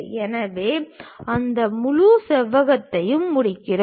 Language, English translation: Tamil, So, we complete that entire rectangle